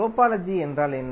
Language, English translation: Tamil, What do you mean by topology